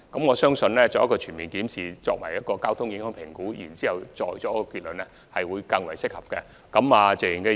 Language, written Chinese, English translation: Cantonese, 我相信，先進行全面檢視及交通影響評估再下結論，會較為適合。, I believe it will be more appropriate for us to conduct a comprehensive review and traffic impact assessment first before drawing a conclusion